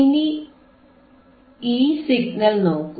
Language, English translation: Malayalam, Now you see this signal